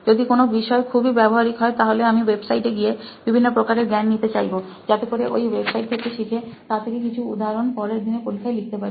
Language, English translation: Bengali, Or for something which is very practical, I prefer going on websites and getting different knowledge from it so that I could give some examples which I have learned from those websites and then put it on my exam the next day